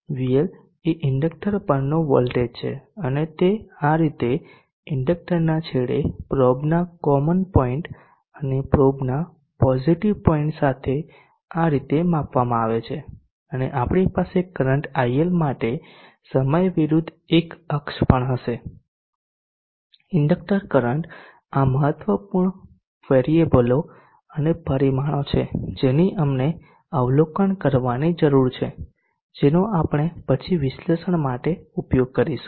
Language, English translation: Gujarati, VL is the voltage across the inductor and it is measured like this with a common point of the probe on this end of the inductor and the positive end of the probe at this point and we shall also have one axis versus time for the current IL the inductor current these are important variables and parameters that we need to we need to observe which we will use for an illuminator